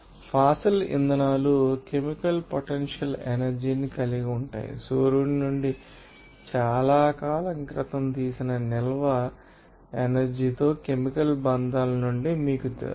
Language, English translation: Telugu, Fossil fuels have chemical potential energy, you know from chemical bonds with stored energy taken long ago from the sun